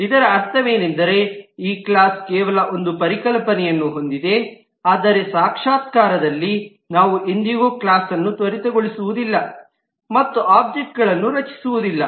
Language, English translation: Kannada, What it means is this class only has a concept, but in the realization we will never actually instantiate the class and create objects